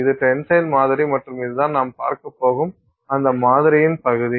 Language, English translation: Tamil, So, that is our tensile sample and this is the region of that sample that we are going to see